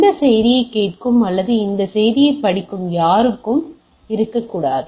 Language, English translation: Tamil, There should not be anybody who is listening to this message or reading this message, right